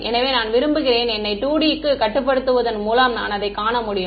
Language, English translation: Tamil, So, I want to restrict myself to 2 D so that I can visualize it ok